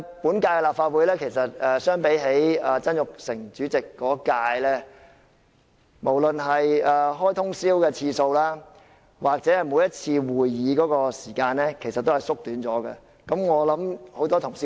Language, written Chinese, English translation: Cantonese, 本屆立法會相比曾鈺成主席那一屆，無論是通宵舉行會議的次數或每次會議的時間，其實都有所減少。, Compared with the previous Legislative Council with Jasper TSANG as the President the number of overnight meetings and the duration of each meeting of the current Legislative Council have been reduced